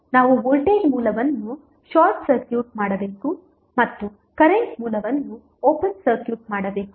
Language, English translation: Kannada, We have to short circuit the voltage source and open circuit the current source